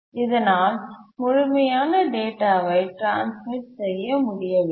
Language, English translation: Tamil, So complete data could not be transmitted